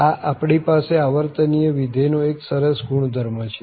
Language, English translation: Gujarati, This is a nice property we have for this periodic function